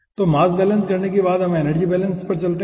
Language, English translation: Hindi, okay, so after doing the mass balance, let us go for the aah energy balance side